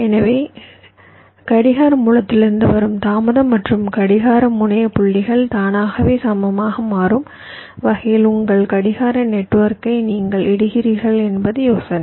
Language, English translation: Tamil, so the idea is that you are laying out your clock network in such a way that automatically the delay from the clock source and the clock terminal points become approximately equal